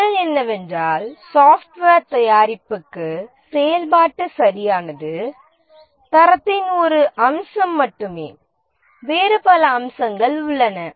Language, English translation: Tamil, The answer is that for software product, for software product functional correctness is only one aspect of the quality